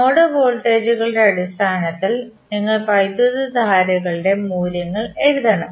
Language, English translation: Malayalam, You have to write the values of currents in terms of node voltages